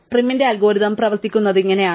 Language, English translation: Malayalam, This is how prim's algorithm works